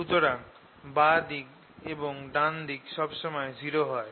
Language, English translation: Bengali, so this term right left hand side is always zero